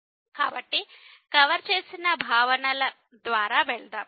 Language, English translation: Telugu, So, let us go through the concepts covered